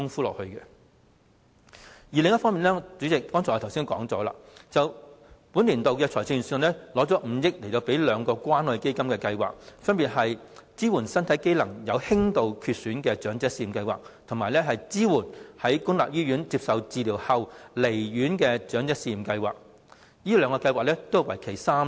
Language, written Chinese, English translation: Cantonese, 另一方面，主席，我剛才已經指出了，本年度預算案撥出5億元予兩項關愛基金的計劃，分別是"支援身體機能有輕度缺損的長者試驗計劃"及"支援在公立醫院接受治療後離院的長者試驗計劃"，此兩項計劃也是為期3年的。, On the other hand Chairman just now I have pointed out that in this budget the Government has set aside 500 million for two schemes under the Community Care Fund namely the Pilot Scheme on Home Care and Support for Elderly Persons with Mild Impairment and Pilot Scheme on Support for Elderly Persons Discharged from Public Hospitals after Treatment